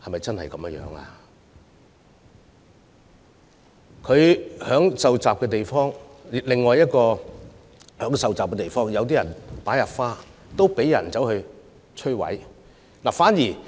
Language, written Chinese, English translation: Cantonese, 在他受襲的地方......在另一處有人受襲的地方，有人擺放鮮花，但卻被摧毀。, At the place where he was attacked Flowers placed at another place of attack have been destroyed